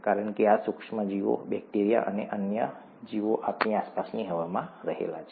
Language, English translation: Gujarati, That is because there is these micro organisms, bacteria, and other such organisms are in the air around us